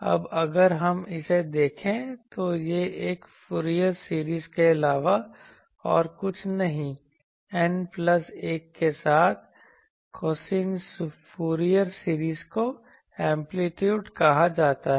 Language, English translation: Hindi, Now, if we look at this is nothing but a Fourier series, cosine Fourier series with N plus 1 are known amplitude